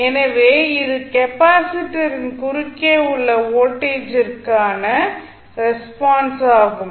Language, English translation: Tamil, So, what will happen the responses this would be the response for voltage at across capacitor